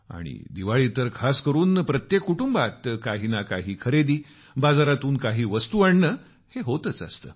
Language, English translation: Marathi, And especially during Diwali, it is customary in every family to buy something new, get something from the market in smaller or larger quantity